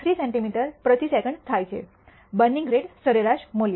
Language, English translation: Gujarati, 3 centimeter per second, the burning rate average value